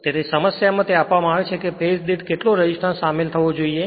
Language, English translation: Gujarati, Therefore, in the problem it is given how much resistance must be included per phase